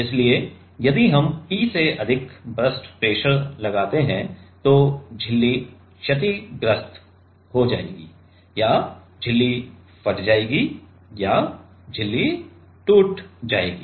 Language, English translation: Hindi, So, if we apply more than P burst or burst pressure then the membrane will get damaged or membrane will burst or membrane will break